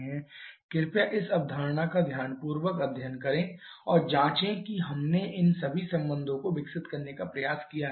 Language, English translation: Hindi, You please study this concept carefully and check their and also try to develop all this relations that we have done